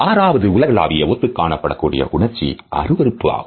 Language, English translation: Tamil, The sixth universally recognized emotion is disgust